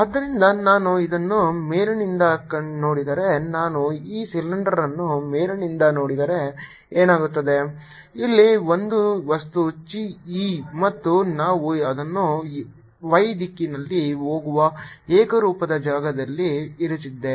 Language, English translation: Kannada, so if i look at it from the top, if i look at this cylinder from the top, what is happening is here is a material, chi e, and we have put it in a uniform field going in the y direction